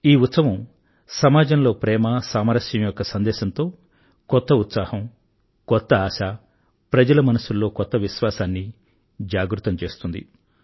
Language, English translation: Telugu, It gives the message of love and harmony awakens new hopes and aspirations, and gives new confidence to the people